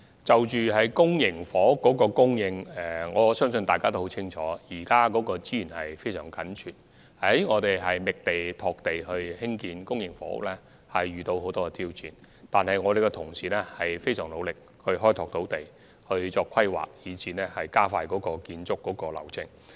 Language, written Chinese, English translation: Cantonese, 就公營房屋的供應，相信大家也很清楚，現時的土地供應確實非常緊絀，在覓地、拓地興建公營房屋方面亦遇到很多挑戰，但我們的同事非常努力開拓土地，進行規劃及盡力加快建屋流程。, With regard to the supply of public housing I think we all know very clearly that we are now facing an acute shortage of land supply and that we have also encountered a lot of challenges in identifying and developing land sites for the construction of public housing . Nevertheless our colleagues are working very hard on the development of land and land planning and are endeavouring to expedite the construction process